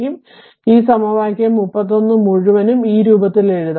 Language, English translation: Malayalam, So, this this expression this whole thing equation 31 can be written in this form right